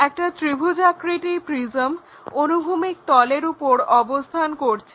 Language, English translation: Bengali, A triangular prism placed on horizontal plane